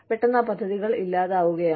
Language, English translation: Malayalam, And, suddenly, those plans go kaput